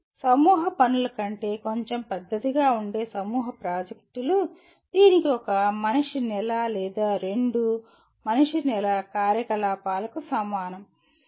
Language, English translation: Telugu, Group projects which is slightly bigger than group assignments which will require maybe equivalent of one man month or two man month activity